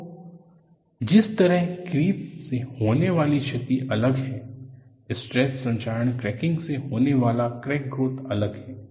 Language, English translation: Hindi, So, the way a creep damage grows is different; the way your stress corrosion cracking growth is different